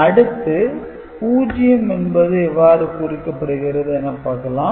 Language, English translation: Tamil, Now, how 0 if you type 0, how 0 is represented